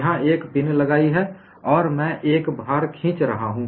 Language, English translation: Hindi, I have put a pin here and I am pulling a load